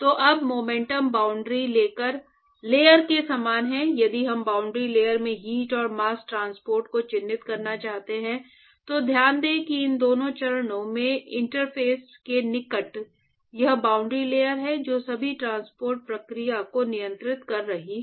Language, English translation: Hindi, So, now, similarly very similar to the momentum boundary layer, if we want to characterize heat and mass transport in the boundary layer, note that at the near the interface of these two phases, it is the boundary layer which is controlling all the transport processes